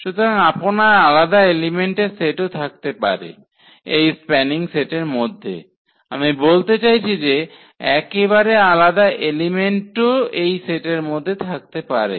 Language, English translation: Bengali, So, you can have really a different number of elements in this spanning set exactly, I mean quite different elements also in the in the in the set